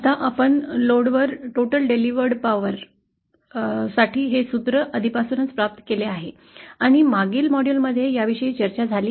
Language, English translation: Marathi, Now we had already come across this formula for the total real power that is delivered to the load and that was discussed in the previous module like this